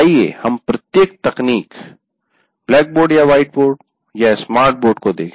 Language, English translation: Hindi, Now let us look at each technology, blackboard or white board